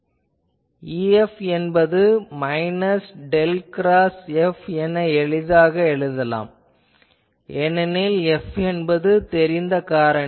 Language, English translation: Tamil, So, I can easily write that E F will be minus del cross F because F is known